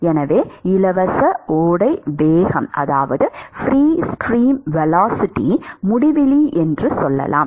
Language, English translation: Tamil, So, let us say the free stream velocity is uinfinity